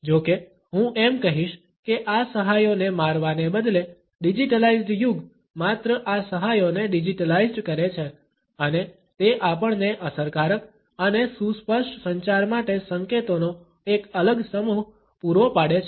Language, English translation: Gujarati, However, I would say that instead of killing these aids that digitalised age has only digitalised these aids and it has provided us a different set of cues for effective and intelligible communication